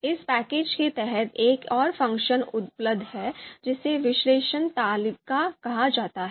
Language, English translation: Hindi, So there is another function that is that is available under this package which is called analyze table